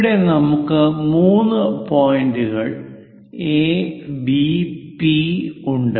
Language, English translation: Malayalam, Let us consider, here three points are given A, P, B